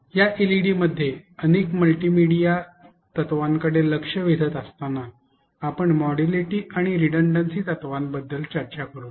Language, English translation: Marathi, While literature points to several multimedia principle in this LED, we will be discussing about the modality and redundancy principle